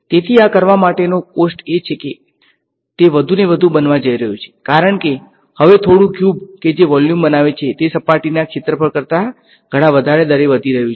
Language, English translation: Gujarati, So, this the cost of doing this is going to become more and more, because now a little cubes that make up that volume are increasing at a much higher rate than the surface area right